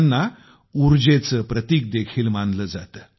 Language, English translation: Marathi, They are considered a symbol of energy